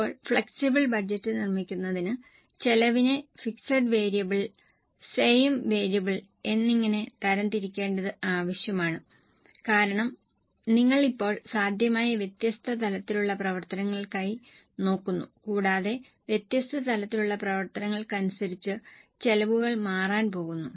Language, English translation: Malayalam, Now, for making flexible budget, it is necessary to classify the costs into fixed variable and semi variable because now you are looking for different possible levels of activities and the costs are going to change as per different levels of activities